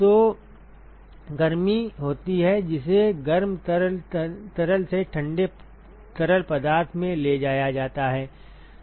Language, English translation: Hindi, So, there is heat that is transported from the hot fluid to the cold fluid